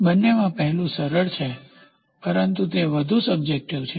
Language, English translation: Gujarati, The former is simpler of both, but it is more subjective